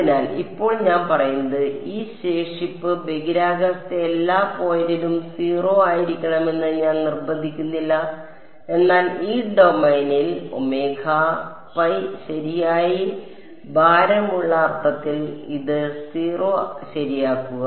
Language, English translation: Malayalam, So, now, I am saying I am not insisting that this residual be 0 at every point in space, but in an average weighted sense over this domain omega m enforce it to 0 ok